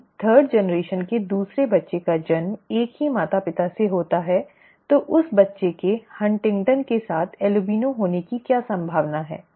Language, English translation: Hindi, If another child of the third generation is born to the same parents, what is the probability of that child being an albino with HuntingtonÕs